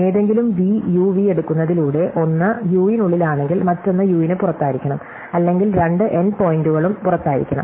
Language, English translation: Malayalam, So, if I take any edge U V, then if one end is inside U, the other end must be outside U or both end points are outside